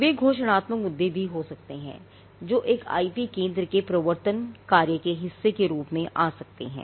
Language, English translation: Hindi, They could also be declaratory suits which can come as a part of the enforcement function of an IP centre